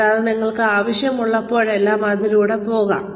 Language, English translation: Malayalam, And, you can go through it, whenever you need to